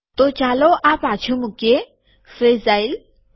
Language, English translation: Gujarati, So lets put this back – fragile